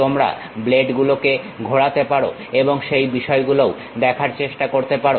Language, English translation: Bengali, In fact, you can rotate the blades and try to observe the things also